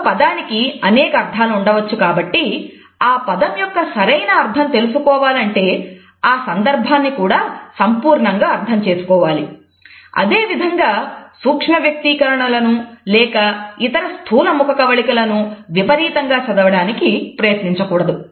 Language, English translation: Telugu, A word can have different meanings and in order to place the meaning of a word properly we also have to understand the context completely and therefore, we should not over read as far as micro expressions or other macro facial expressions are concerned